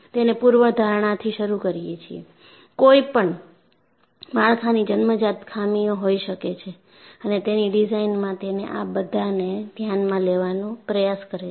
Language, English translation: Gujarati, It starts with the premise, that any structure can have internal flaws and it attempts to account for them in design